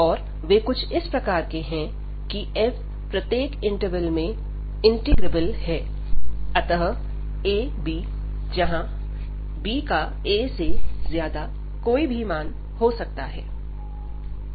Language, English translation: Hindi, And they are such that, that f is integrable on each interval, so a, b and b can take any value greater than a